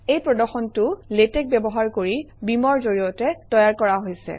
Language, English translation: Assamese, This presentation has been made with beamer, using Latex